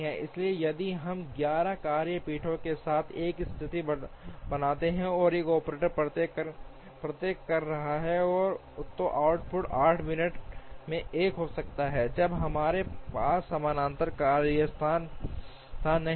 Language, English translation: Hindi, So, if we create a situation with 11 work benches, and one operator doing each, so the output can be one in 8 minutes, as long as we have we do not have parallel workstations